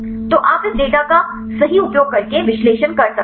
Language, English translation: Hindi, So, you can do the analysis using this data right